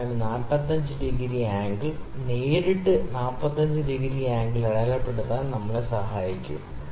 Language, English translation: Malayalam, So, this 45 degree angle would help us to mark the 45 degree angle directly